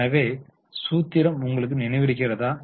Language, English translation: Tamil, Now what is the formula do you remember